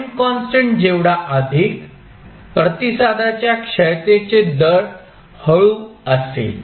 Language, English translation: Marathi, Larger the time constant slower would be the rate of decay of response